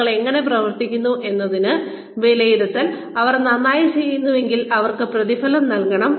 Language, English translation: Malayalam, Assessing, how people are working, if they are doing well, they should be rewarded